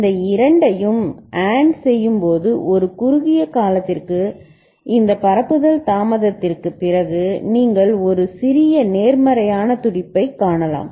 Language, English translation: Tamil, And when you AND these two, then for a short period after this propagation delay right you can see a small positive going pulse